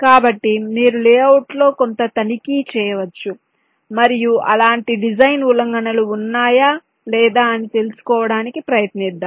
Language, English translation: Telugu, so you can have some inspection in the layout and try to find out whether such design violations do exists or not